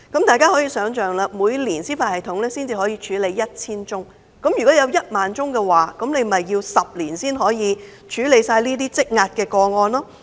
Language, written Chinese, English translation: Cantonese, 大家可以想象，司法系統每年可處理 1,000 宗個案，如果有1萬宗，那便要10年才可完成這些積壓的個案。, Members can thus imagine the situation . Since the judicial system can only handle 1 000 cases each year it will take 10 years to complete the 10 000 accumulated cases